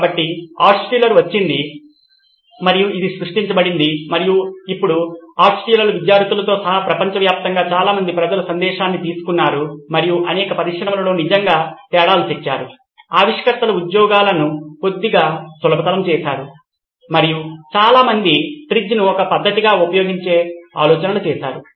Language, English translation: Telugu, So this is the theory that Altshuller came and this generated and now lots of people across the globe including Altshuller’s students have taken the message all across and have really made a difference in many many industries, made inventors jobs a little easier and generated a lot of ideas using TRIZ as a method